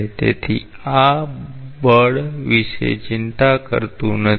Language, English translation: Gujarati, So, this does not bother about the force